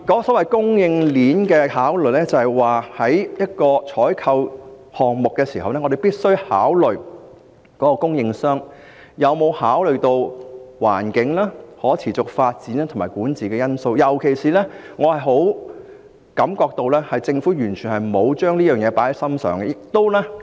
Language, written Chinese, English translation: Cantonese, 所謂供應鏈的考慮，意思是在一個採購項目中，我們必須考慮供應商有否考慮到環境、可持續發展及管治的因素，而我強烈感覺到政府完全沒有重視這方面的考慮。, Consideration of the supply chain means that in a procurement exercise we must consider whether the supplier has taken into account such factors as the environment sustainable development and governance and I have a very strong feeling that the Government has not given any weight to these considerations